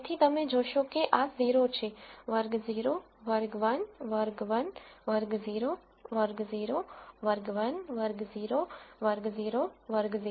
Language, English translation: Gujarati, So, you will notice that this is 0 class 0, class 1, class 1, class 0, class 0, class 1, class 0, class 0, class 0